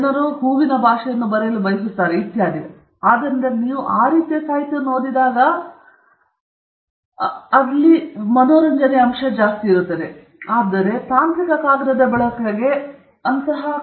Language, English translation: Kannada, People would like to write some flowery language, etcetera, and so when you read that kind of literature, it’s the wrong example to use for a technical paper